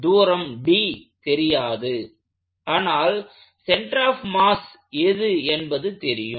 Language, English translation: Tamil, So, this distance d is not known, what I do know is that this is the center of mass